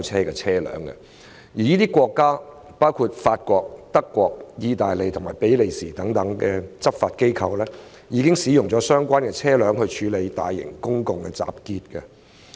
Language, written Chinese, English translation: Cantonese, 這些國家包括法國、德國、意大利和比利時等，其執法機構曾經使用水炮車處理大型公眾集結。, These countries include France Germany Italy Belgium etc . and the law enforcement agencies concerned have used water cannon vehicles to handle large - scale public assemblies